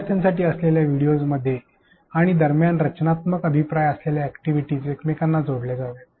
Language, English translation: Marathi, Activities should be interspersed to within and between videos with constructive feedback for learners